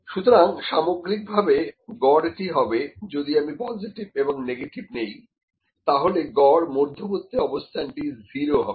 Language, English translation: Bengali, So, overall that average would be if I take positive negative the average mean would be 0